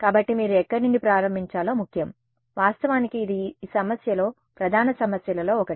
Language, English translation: Telugu, So, where you start from matters right, actually that is one of the major issues in this problem